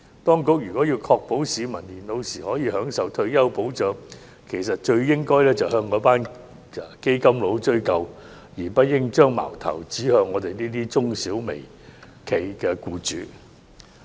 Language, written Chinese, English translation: Cantonese, 當局如要確保市民年老時可享受退休保障，其實最應向那群"基金佬"追究，而不應把矛頭指向我們這些中小微企的僱主。, As a matter of fact if the Administration wishes to ensure that members of the public are able to enjoy retirement protection it should hold the fund managers responsible instead of pointing the finger at the employers of micro small and medium enterprises